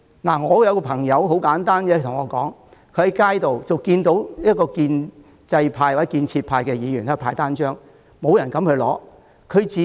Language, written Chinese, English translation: Cantonese, 很簡單，有一位朋友跟我說，他在街上看到一名建制派或建設派議員派單張，但沒有人敢拿。, Here is a simple example . A friend of mine told me that he saw on the street a Member from the pro - establishment camp―or the construction camp―handing out leaflets which no one dared to take